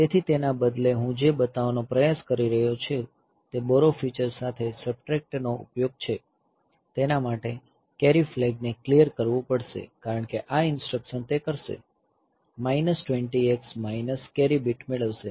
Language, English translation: Gujarati, So, instead of that what I am trying to show, is the usage of the subtract with the borrow feature, for that a carry flag has to be cleared, because this instruction will do a, will get a minus 20 X minus the carry bit